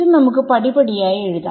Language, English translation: Malayalam, So, let us write it in stepwise form